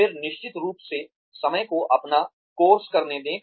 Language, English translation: Hindi, Then definitely, let time take its own course